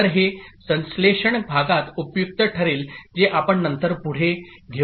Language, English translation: Marathi, So that will be useful in synthesis part which we shall take up later